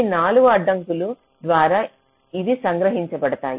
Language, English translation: Telugu, these are captured by these four constraints